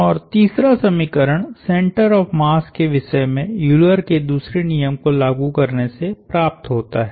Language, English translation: Hindi, And the third equation comes from applying the laws of Euler’s second law about the center of mass